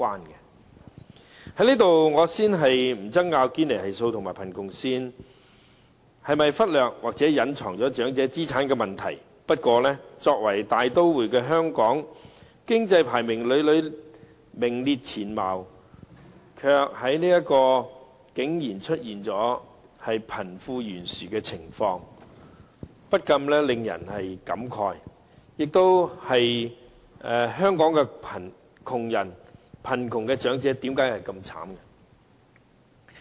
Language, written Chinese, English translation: Cantonese, 在此，我先不爭拗堅尼系數和貧窮線是否忽略或隱藏了長者資產的問題，不過，作為大都會的香港，經濟排名屢屢名列前茅，卻竟然出現貧富懸殊的情況，不禁令人慨嘆，香港的窮人和貧窮長者為何這麼淒慘？, Here let me leave aside the question of whether the Gini Coefficient and the poverty line have ignored or concealed the assets of the elderly . However in such a metropolis as Hong Kong which has repeatedly ranked high in terms of its economy a wealth gap has appeared . One cannot but find it lamentable